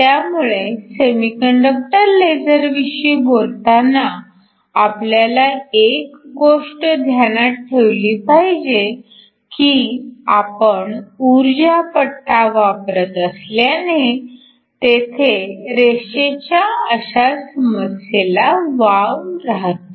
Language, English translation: Marathi, So, when we talk about semiconductor lasers we have to be aware that because you are using energy bands there is a potential for a line with issue